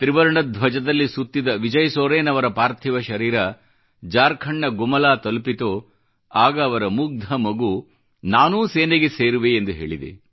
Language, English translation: Kannada, When the mortal remains of Martyr Vijay Soren, draped in the tricolor reached Gumla, Jharkhand, his innocent son iterated that he too would join the armed forces